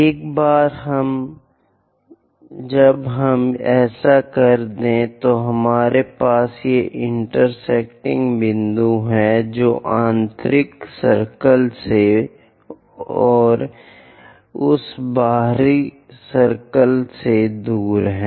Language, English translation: Hindi, Once we are doing after that, we have these intersection points which are away from the inner circle and into that outer circle